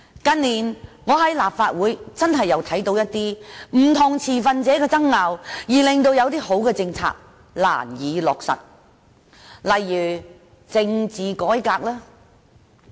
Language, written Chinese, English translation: Cantonese, 近年，我在立法會確實聽到不同持份者的爭拗，以致一些良好的政策難以落實，例如政治改革。, In recent years I have indeed witnessed many conflicts among different stakeholders in the Legislative Council and such disputes have caused major difficulties in implementing certain good policies such as political reform